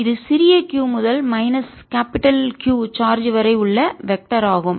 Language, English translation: Tamil, that is a vector from small q to minus capital q charge